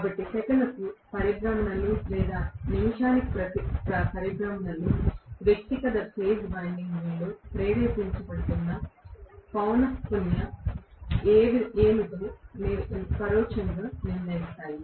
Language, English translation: Telugu, So the revolutions per second or revolutions per minute indirectly decide what is the frequency which is being induced in individual phase windings